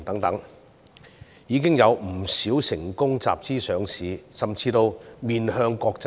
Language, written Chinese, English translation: Cantonese, 現在已有不少企業成功集資上市甚至面向國際。, Many enterprises have raised funds by listing on the market; some have even gone global